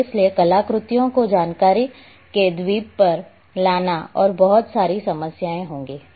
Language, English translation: Hindi, And therefore bringing artifacts island of information and lot of problems are will be there